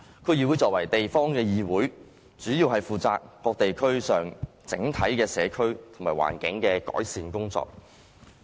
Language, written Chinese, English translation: Cantonese, 區議會作為地方議會，主要是負責各地區上整體的社區和環境改善工作。, DCs as local councils mainly take charge of the overall community and environmental improvement work in various districts